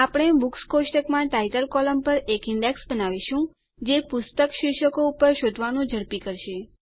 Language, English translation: Gujarati, We will create an index on the Title column in the Books table that will speed up searching on book titles